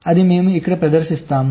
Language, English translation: Telugu, this is explained here